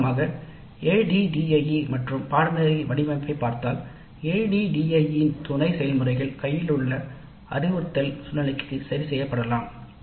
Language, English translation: Tamil, So, in summary if you look at ADD and course design, the sub process of ADE can be adjusted to instructional situation on hand